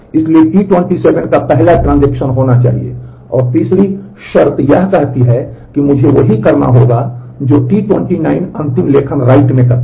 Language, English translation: Hindi, So, T 27 has to be the first transaction, if the third condition says that I must do the same right T 29 does the final right here